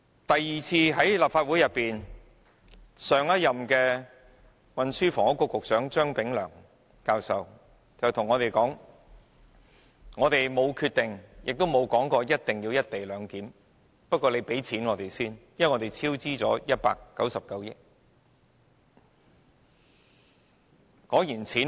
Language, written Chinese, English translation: Cantonese, 其後來到立法會的是前任運輸及房屋局局長張炳良教授，他對我們表示未有決定，亦沒有說過一定要實行"一地兩檢"，但立法會要先批出撥款，因為已超支199億元。, The former Secretary for Transport and Housing Prof Anthony CHEUNG was the next who came to the Legislative Council . He told us that they had neither come to any decision nor said that the co - location arrangement must be implemented . But the Legislative Council must grant funding approval first as a cost overrun of 19.9 billion had been recorded